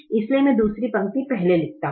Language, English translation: Hindi, so i write the second row first